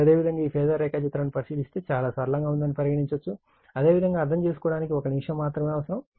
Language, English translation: Telugu, Now, if you look in to this phasor diagram, suppose there is there is very simple it is just a minute only understanding you require